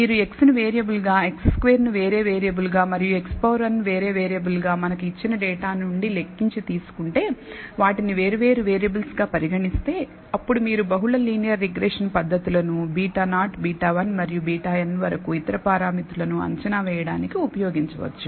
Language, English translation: Telugu, If you take x as a variable x squared as a different variable and x n as a different variable computed from data that we are given treat them as different variables, then you can use multi linear regression methods in order to estimate the parameters beta naught beta 1 and so on up to beta n